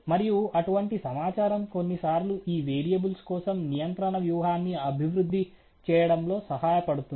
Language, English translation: Telugu, And such information is helping some times in developing a control strategy for these variables